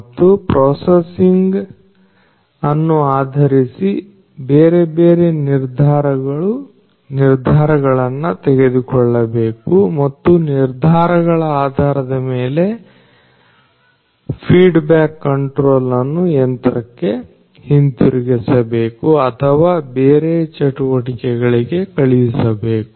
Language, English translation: Kannada, And based on the processing the different decisions has to be made and based on the decisions there is a feedback control that has to be sent back to the machine or elsewhere for further actions